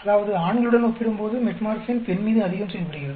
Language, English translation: Tamil, That means, the Metformin is acting much more on female when compared to male